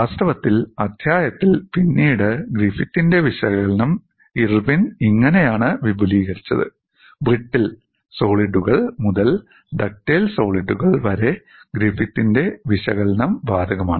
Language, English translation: Malayalam, In fact, we would look up later in the chapter, how Irwin extended the analysis of Griffith which was applicable to brittle solids to ductile solids